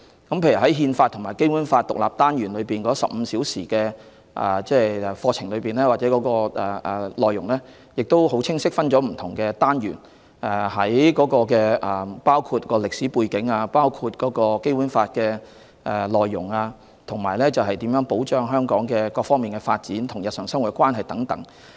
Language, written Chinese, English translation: Cantonese, 例如，"憲法與《基本法》"這個獨立單元會使用15個課時教授，內容亦很清晰地分為不同單元，包括歷史背景、《基本法》的內容、如何保障香港各方面的發展、《基本法》與日常生活的關係等。, For instance the Constitution and the Basic Law module is a 15 - school hour independent module . It is divided into different chapters including the historical background the content of the Basic Law the protection of the different aspects of development of Hong Kong the relationship between the Basic Law and our daily life etc